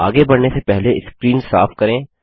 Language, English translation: Hindi, Before moving ahead let us clear the screen